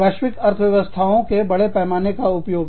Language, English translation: Hindi, Exploiting global economies of scale